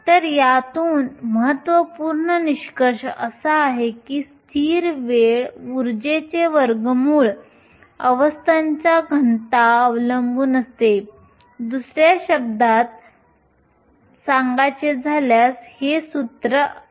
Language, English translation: Marathi, So, important conclusion from this is that the density of states depends on a constant time the square root of energy, other words g of e is proportional to the square root of the energy